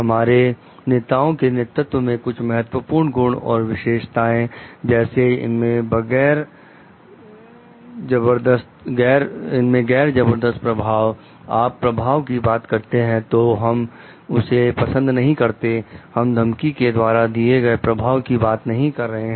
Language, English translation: Hindi, Some important qualities characteristics of leaders are our leadership our like it is a non coercive influence, we cannot like when you are talking of influence, we are not talking of influence by threat